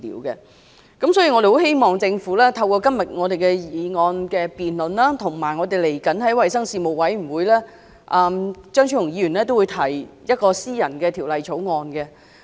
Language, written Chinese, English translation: Cantonese, 所以，我們希望政府透過今天這項議案辯論，以及張超雄議員將會在衞生事務委員會提出的私人條例草案......, We thus hope that the Government can make use of this motion debate today as well as the private bill to be proposed by Dr Fernando CHEUNG in the Panel on Health Services We know that attempts by Members to introduce a private bill will meet strong resistance under the Basic Law